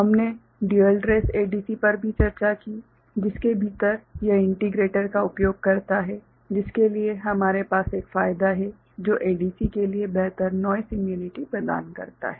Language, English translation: Hindi, We also discussed dual trace ADC which within it utilizes integrator for which we have an advantage of that ADC providing better noise immunity